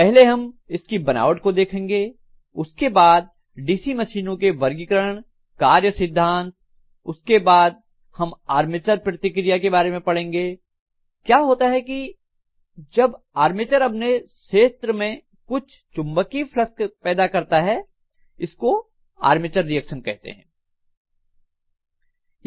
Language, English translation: Hindi, So we will be looking at first of all basic construction after that we look at the classification of DC machine, working principle, then after that we will be looking at something called armature reaction, what happens when the armature is also creating some flux along with the field so this is known as armature reaction